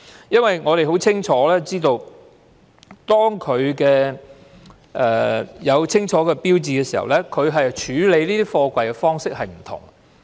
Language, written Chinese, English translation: Cantonese, 因為我們知道，當貨櫃有清楚的標記時，處理貨櫃的方式會有所不同。, As far as we know workers may handle containers with clear markings differently